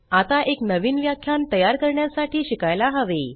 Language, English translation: Marathi, We shall now learn to create a new lecture